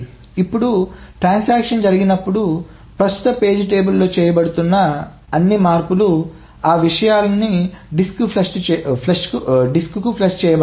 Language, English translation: Telugu, Now whenever a transaction commits, all the changes that are being made to the current page table, all those things are flushed to the disk